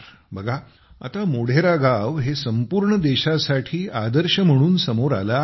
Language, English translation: Marathi, Look, now Modhera is being discussed as a model for the whole country